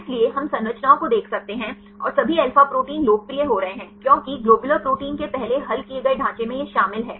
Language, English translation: Hindi, So, we can see the structures and all alpha proteins are getting popular because in the first solved structure of globular proteins right which contains